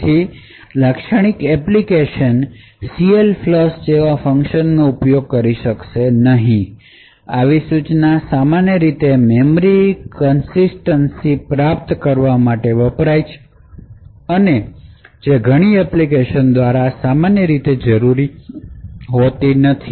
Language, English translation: Gujarati, As such, a typical application does not use a function like CLFLUSH, such an instruction is typically used to achieve memory consistency and which is not typically needed by many applications